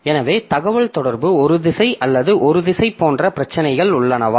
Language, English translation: Tamil, So, there are issues like is the communication bidirectional or unidirectional